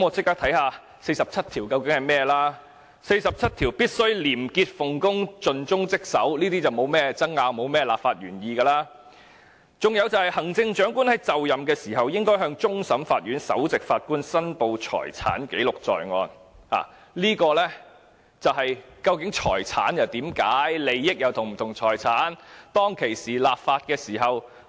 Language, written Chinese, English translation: Cantonese, 第四十七條訂明特首"必須廉潔奉公、盡忠職守"，這些立法原意沒有甚麼可以爭拗，還訂明"行政長官就任時，應向香港特別行政區終審法院首席法官申報財產，記錄在案"，就是要解釋財產，利益與財產又是否相同？, Article 47 provides that the Chief Executive must be a person of integrity dedicated to his or her duties . The legislative intent of which cannot be disputed . It is also specified that the Chief Executive on assuming office shall declare his or her assets to the Chief Justice of the Court of Final Appeal of the Hong Kong Special Administrative Region HKSAR